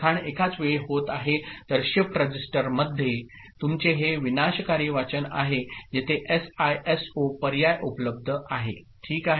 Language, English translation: Marathi, So, this is your non destructive reading in a shift register where SISO option is only available ok